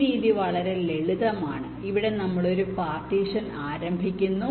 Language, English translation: Malayalam, here the idea is that we start with an initial partition